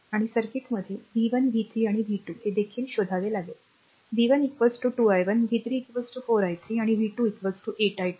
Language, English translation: Marathi, And you have to find out also, v 1 v 3 and v 2 from the circuit you can easily wake out, v 1 is equal to 2 i 1, v 3 is equal to 4 i 3, and v 2 is equal to 8 i 2